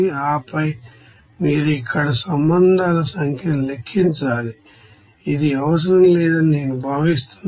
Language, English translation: Telugu, And then you have to calculate number of relations here number of relations I think it is not required